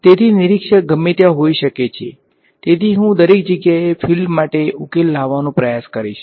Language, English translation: Gujarati, So, observer could be anywhere, so I will try to solve for the fields everywhere right